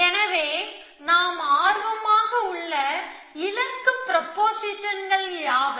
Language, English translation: Tamil, So, what are the goal propositions that we are interested in